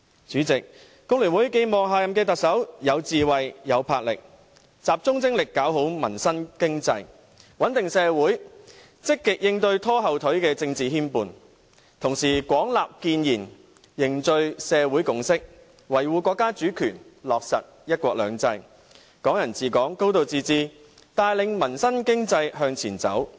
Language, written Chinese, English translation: Cantonese, 主席，工聯會寄望下任特首有智慧、有魄力，能夠集中精力完善民生經濟，穩定社會，積極應對拖後腿的政治牽絆，同時廣納建言，凝聚社會共識，維護國家主權，落實"一國兩制"、"港人治港"、"高度自治"，帶領民生經濟向前走。, President FTU hopes that the next Chief Executive can be a person with wisdom enterprise and focused attention to improving peoples livelihood and the economy stabilizing the community and actively coping with the political obstacles which hinder his governance . At the same time he should pay extensive heed to constructive views forge a social consensus uphold the countrys sovereignty and implement one country two systems Hong Kong people ruling Hong Kong and a high degree of autonomy with a view to achieving progress in peoples livelihood and the economy